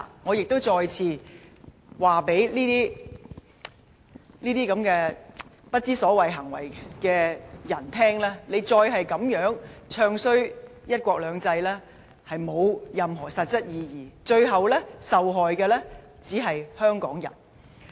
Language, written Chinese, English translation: Cantonese, 我亦再次對這些不知所謂的人說，再這樣"唱衰""一國兩制"，並無任何實質意義，最後受害的只是香港人。, Let me tell these ridiculous people once again their bad - mouthing of one country two systems serves no practical meaning but will ultimately hurt the people of Hong Kong